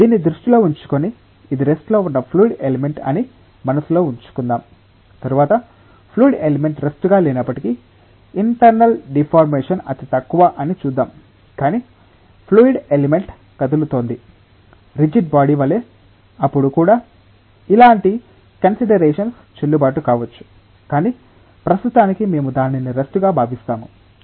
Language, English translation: Telugu, Keeping that in mind, so this let us keep in mind this is a fluid element at rest, we will later on see that even if the fluid element is not at rest, but internal deformation is negligible, but the fluid element is moving like a rigid body then also similar considerations may be valid, but for the time being we consider it at rest